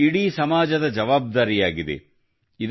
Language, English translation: Kannada, It is the responsibility of the whole society